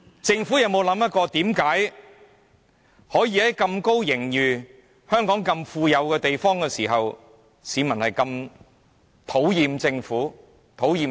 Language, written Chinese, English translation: Cantonese, 政府有否想過，為何盈餘那麼充裕，市民竟如此討厭政府及預算案？, Has the Government considered why members of the public are so disgusted with the Government and the Budget despite a hefty surplus?